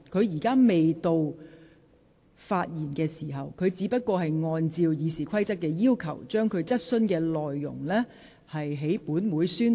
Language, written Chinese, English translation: Cantonese, 現在並非她發言的時間，她只是按照《議事規則》的要求，在本會宣讀質詢內容。, Now is not the time for her to speak and she was only reading out the content of her question in accordance with the requirements of the Rules of Procedure